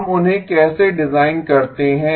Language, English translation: Hindi, how do we design them